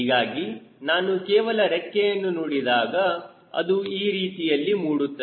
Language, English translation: Kannada, so, though, if i just throw the wing, it will come like this